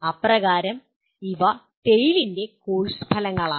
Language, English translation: Malayalam, So these are the course outcomes of TALE